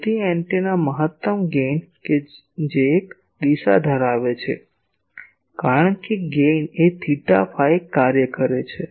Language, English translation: Gujarati, So, antennas maximum gain that has a direction because gain is a theta phi function